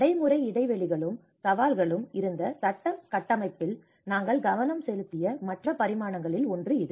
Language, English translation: Tamil, There is also one of the other dimensions which we focused on the legal framework where there has been an implementation gaps and challenges